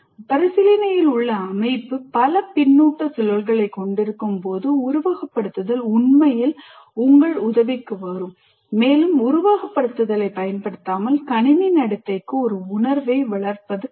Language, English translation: Tamil, When the system under consideration has multiple feedback loops, that is where simulation really comes to your aid, it is difficult to develop a feel for the system behavior without using simulation